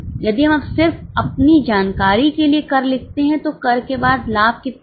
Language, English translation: Hindi, If we just write tax for our own information, how much is a profit after tax